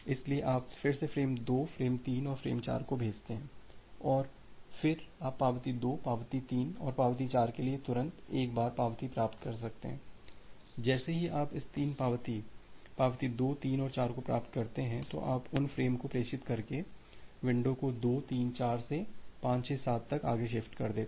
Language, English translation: Hindi, So, you again retransmit frame 2, frame 3 and frame 4 and again then you can get the acknowledgement immediately for acknowledgement 2, acknowledgement 3 and acknowledgement 4 once, you are getting this 3 acknowledgement, acknowledgement 2 3 and 4 then you shift the window further from 2 3 4 to 5 6 7 so, by transmitting those frames